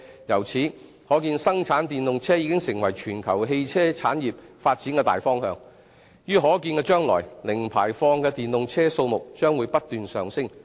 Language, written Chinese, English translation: Cantonese, 由此可見，生產電動車已成為全球汽車產業發展的大方向，於可見的將來，零排放的電動車數目將會不斷上升。, We thus see that the production of electric vehicles has become a major development direction of the global automotive industry . In the foreseeable future the number of zero - emission electric vehicles will be on the rise